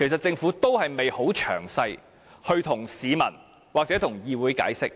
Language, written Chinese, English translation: Cantonese, 政府並無向市民或議會詳細解釋。, The Government has not explained it to the public or the Council in detail